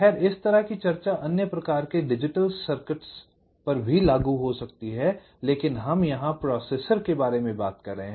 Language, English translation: Hindi, well, similar kind of discussion can apply to other kind of digital circuits also, but we are simply talking about ah processor here